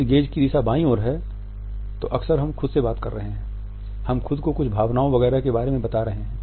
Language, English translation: Hindi, If the gaze direction is towards a left then often we are talking to ourselves, we are telling ourselves about certain emotion etcetera